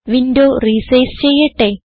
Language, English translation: Malayalam, Let me resize the window